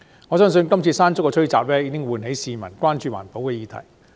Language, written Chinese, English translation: Cantonese, 我相信"山竹"吹襲也喚起了市民關注環保議題。, The onslaught of Mangkhut has I believe aroused public concern about environmental issues